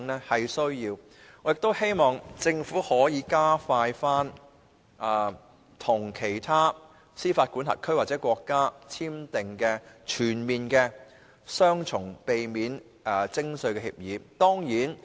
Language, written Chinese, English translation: Cantonese, 我亦希望政府可以加快與其他司法管轄區或國家簽訂全面性避免雙重課稅協定。, I also hope that the Government can expedite the signing of comprehensive double taxation agreements with other jurisdictions or countries